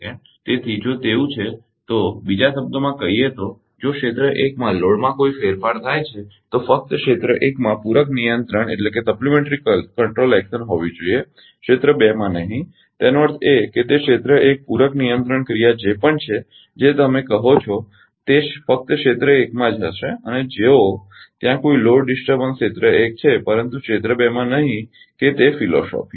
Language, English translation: Gujarati, So, if it so, in other words if there is a change in area 1 load there should be supplementary control action only in area 1 not in area two; that means, ah whatever it is that area 1 supplementary control action actually you what you call will be only in area 1 if there is a load disturbance area 1, but not in area 2 that is the philosophy